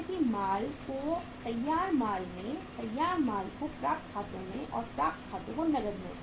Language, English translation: Hindi, WIP into finished goods, finished goods into accounts receivable and accounts receivables into cash